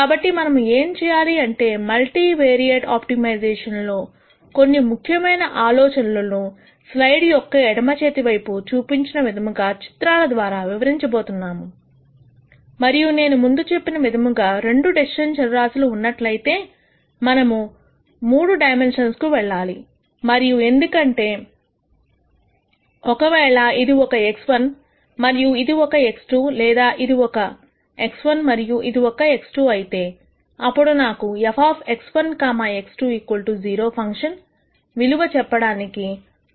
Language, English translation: Telugu, So, what we are going to do is we are going to explain some of the main ideas in multivariate optimization through pictures such as the one that I have shown on the left side of the slide and as I mentioned before since even for cases where there are two decision variables we need to go to 3 dimensions and that is simply because if this is x 1 and this is x 2 or this is x 1 and this is x 2, I need a third dimension to describe the value of the function x 1 comma x 2 equal to 0